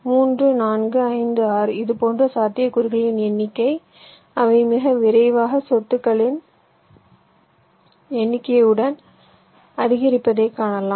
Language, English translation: Tamil, well, it is seen that the number of such possibilities, they increase very rapidly with the number of vertices